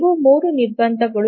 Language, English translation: Kannada, So these are the three constraints